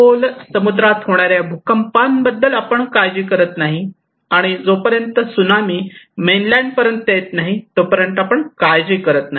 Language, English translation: Marathi, If we have earthquake in deep sea, we do not care unless and until the Tsunami comes on Mainland